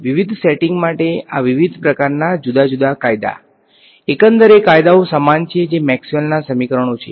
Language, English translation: Gujarati, These different kind of different laws for different settings, the overall laws are the same which are Maxwell’s equations